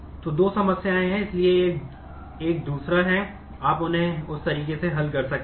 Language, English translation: Hindi, So, there are two problems; so, this is a second one and you can solve them in that way